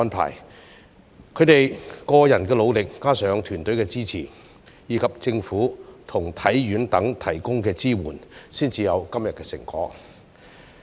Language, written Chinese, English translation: Cantonese, 憑藉他們個人的努力，加上團隊的支持，以及政府和香港體育學院等提供的支援，運動員才有今天的成果。, Definitely their achievements today were the fruits of their efforts coupled with the backing of their teams as well as the support from the Government and the Hong Kong Sports Institute